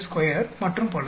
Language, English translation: Tamil, 45 square and so on